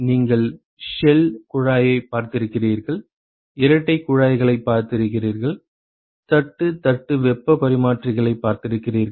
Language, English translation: Tamil, You have seen shell tube, you have seen double pipe, and you have seen plate plate heat exchangers